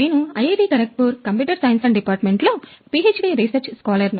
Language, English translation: Telugu, We both are from Department of Computer Science IIT, Kharagpur